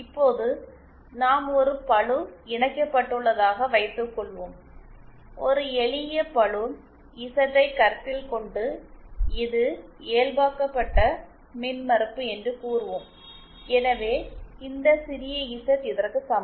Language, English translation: Tamil, Now suppose we have a load connected let us consider a simple load Z and say it is normalised impedance is this, so this small z is equal to this